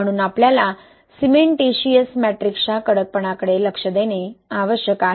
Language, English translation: Marathi, So we need to pay attention to the stiffness of the cementitious matrix